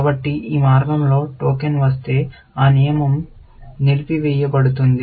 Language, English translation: Telugu, So, if a token comes down this path, that rule will get disabled